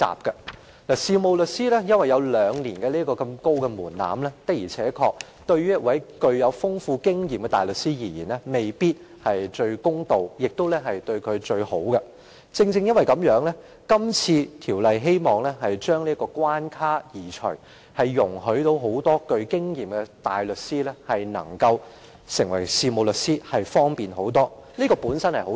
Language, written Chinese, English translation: Cantonese, 由於事務律師必須通過兩年培訓這道頗高的門檻，對於擁有豐富經驗的大律師而言，的確未必是最公道或最好，所以《修訂規則》希望移除這關卡，令富經驗的大律師轉業成為事務律師時更方便，這本是一件好事。, Given that solicitors must undergo a rather high threshold of receiving two years training the above requirement may not be the fairest or the best arrangement for seasoned barristers . Hence the Amendment Rules intends to remove this barrier to make it more convenient for well - experienced barristers to become solicitors . This should be a good arrangement